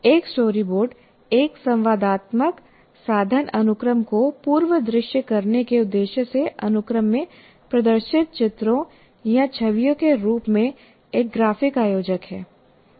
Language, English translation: Hindi, A story board is a graphic organizer in the form of illustrations are images displayed in sequence for the purpose of pre visualizing an interactive media sequence